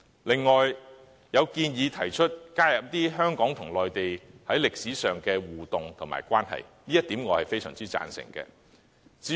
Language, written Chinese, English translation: Cantonese, 有人亦建議加入香港與內地在歷史上的互動關係，我非常贊成這點。, There are suggestions that the Chinese History curriculum should cover the interactive relationship between Hong Kong and the Mainland in history to which I strongly agree